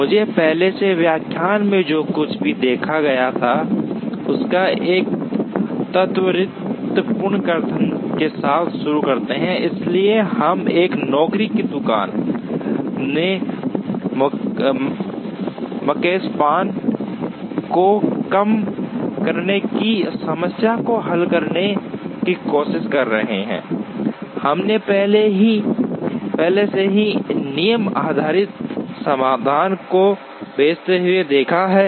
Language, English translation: Hindi, Let me begin with a quick recap of what we saw in the earlier lecture, so we are trying to solve the problem of minimizing Makespan in a job shop, we have already seen dispatching rule based solutions